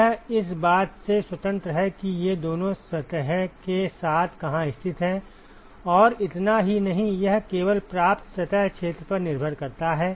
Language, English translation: Hindi, It is independent of where these two are located along the surface and not just that it depends only on the receiving surface area